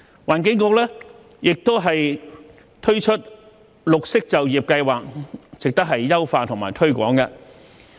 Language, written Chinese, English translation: Cantonese, 環境局亦推出綠色就業計劃，值得優化和推廣。, The Environment Bureau has also introduced the Green Employment Scheme which warrants further enhancement and promotion